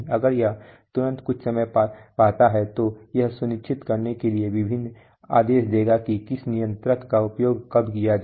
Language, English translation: Hindi, If it find some problem immediately it will give various commands to ensure which controller to use when